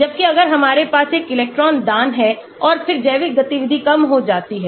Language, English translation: Hindi, whereas if we have an electron donating and then the biological activity goes down